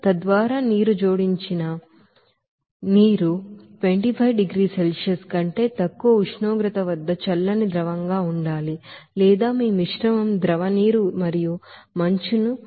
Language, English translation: Telugu, So that the water added must be chilled liquid at temperature less than 25 degrees Celsius or a mixture of you know liquid water and ice